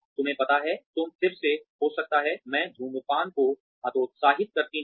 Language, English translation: Hindi, You know, you may have again, I discourage smoking